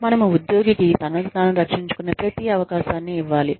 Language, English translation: Telugu, We must give the employee, every possible chance to defend, herself or himself